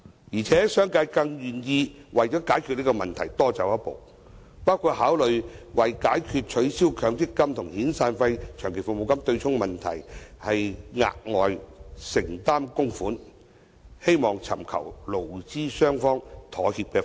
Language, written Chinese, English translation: Cantonese, 而且，商界更願意為解決這個問題而多走一步，包括考慮為解決取消強積金和遣散費、長期服務金對沖的問題，額外承擔供款，希望尋求勞資雙方妥協的方案。, In a bid to reach a compromise proposal with the employees relating to abolishing the offsetting of severance payments or long service payments with MPF contributions the business sector is more prepared to take one step further including considering making additional contribution